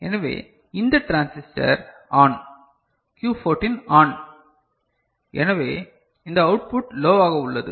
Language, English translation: Tamil, So, this transistor is ON all right Q14 is ON, so this output is low